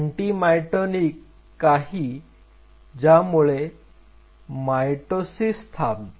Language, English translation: Marathi, Anti mitotic is something which prevents the mitosis to happen